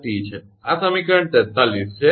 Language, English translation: Gujarati, 392 p upon 273 plus t, this is equation 43